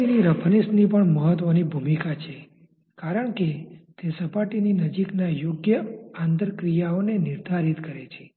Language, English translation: Gujarati, Surface roughness also has a strong role to play because that dictates the proper intermolecular interaction close to the surface